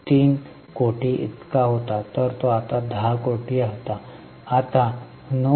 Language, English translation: Marathi, 3, then 10 crore, now 9